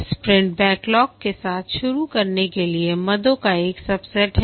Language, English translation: Hindi, The sprint backlog is a subset of items to start with